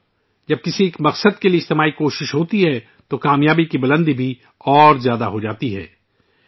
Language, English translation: Urdu, Friends, when there is a collective effort towards a goal, the level of success also rises higher